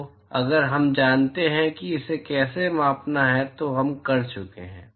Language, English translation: Hindi, So, if we know how to quantify that then we are done